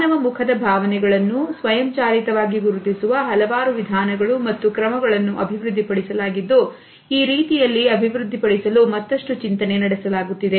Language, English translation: Kannada, Numerous methods and algorithms for automatically recognizing emotions from human faces have been developed and they are still being developed in diversified ways